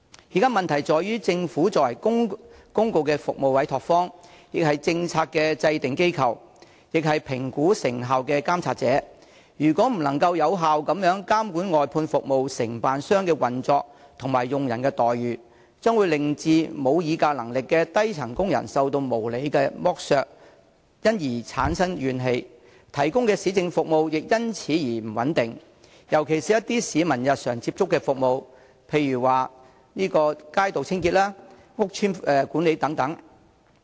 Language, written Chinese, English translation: Cantonese, 現時的問題在於政府作為公共服務的委託方，亦是制訂政策的機構和評估成效的監察者，如果未能有效監管外判服務承辦商的運作及其僱員的待遇，將會令無議價能力的基層工人受到無理剝削而產生怨氣，他們提供的市政服務亦因此變得不穩定，尤其是一些市民日常所接觸的服務，例如街道清潔和屋邨管理等。, The current problem lies in the fact that the Government is not only the party which has entrusted the provision of public services to contractors but also the institution of policymaking and the overseer which assesses their effectiveness . If the Government fails to effectively monitor the operation of outsourced service contractors and the remuneration of their employees grass - roots workers who do not have any bargaining power will be subject to unreasonable exploitation and become resentful . As a result the quality of municipal services provided by them will become unstable especially the services which the public encounter on a daily basis such as the cleansing of streets and the management of housing estates